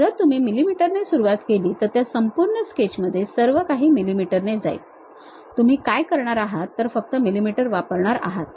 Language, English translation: Marathi, If you begin with mm everything go with mm throughout that sketch what you are going to do use only mm ah